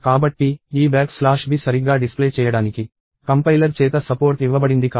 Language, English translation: Telugu, So, this back slash b is not something that is supported by the compiler to be displayed properly